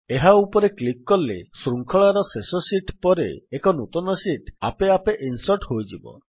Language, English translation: Odia, On clicking it a new sheet gets inserted automatically after the last sheet in the series